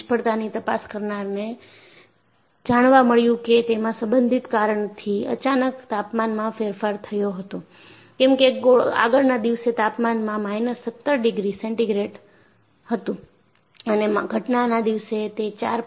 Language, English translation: Gujarati, The failure investigators found out, that the possible cause was a sudden temperature change, as the temperature on the previous day was minus 17 degrees centigrade and on the day of occurrence, it was 4